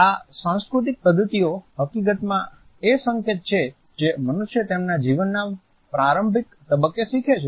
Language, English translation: Gujarati, These cultural practices in fact, are the culture codes which human beings learn at a very early stage of their life